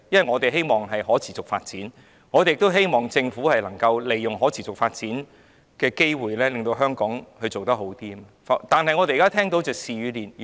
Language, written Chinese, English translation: Cantonese, 我們也期望香港有可持續發展，期望政府可以利用可持續發展的機會，令香港做得更好，但我們現在看到的是事與願違。, We also look forward to sustainable development in Hong Kong hoping that the Government will seize the opportunities in sustainable development to lead Hong Kong to attain better achievements . Yet what we see now is just the opposite